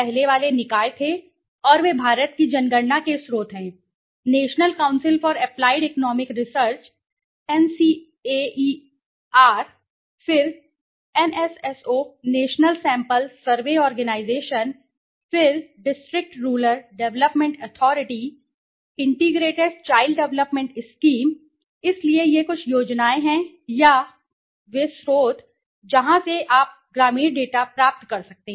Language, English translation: Hindi, The earlier one was the bodies and they are sources the census of India, the National Council for Applied Economic Research NCAER, then NSSO National Sample Survey Organization, then District Rural Development Authority, Integrated Child development Scheme so these are some schemes or some of the sources from where you can get the rural data, right, okay